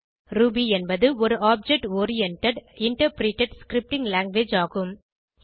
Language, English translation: Tamil, Ruby is an object oriented, interpreted scripting language